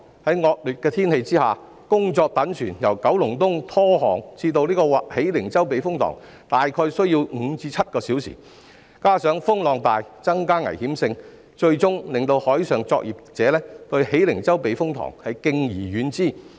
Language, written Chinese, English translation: Cantonese, 在惡劣天氣下，工作躉船由九龍東拖航至喜靈洲避風塘，大約需要5至7小時，加上風浪大，增加危險性，最終令海上作業者對喜靈洲避風塘敬而遠之。, It takes five to seven hours to tow a work barge from Kowloon East to the Hei Ling Chau Typhoon Shelter under inclement weather conditions . This coupled with strong wind and waves has increased the level of danger which has eventually deterred marine workers from using it . In addition there are restrictions on vessel length when using the typhoon shelters